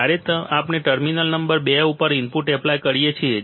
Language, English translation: Gujarati, When, when we apply input to terminal number two